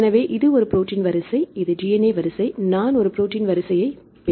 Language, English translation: Tamil, So, this is a protein sequence this is DNA sequence, I will get a protein sequence fine